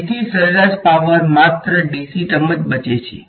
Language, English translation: Gujarati, So, that is why the average power the only the dc term survives right